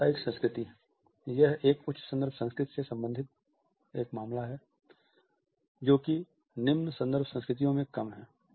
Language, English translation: Hindi, Business culture: Here a case in high context cultures, this is lesser in low context cultures